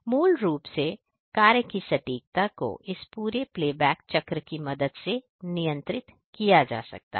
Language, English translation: Hindi, Basically, the accuracy of the job can be controlled with a help of this entire play back cycle